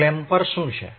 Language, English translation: Gujarati, What is clamper